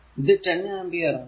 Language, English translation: Malayalam, So, this is your 4 ampere